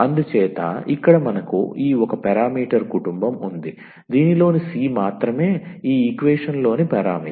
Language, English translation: Telugu, So, here we have this one parameter family the c is the only parameter in this in this equation